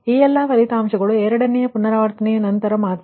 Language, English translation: Kannada, these, all this results are after second iteration only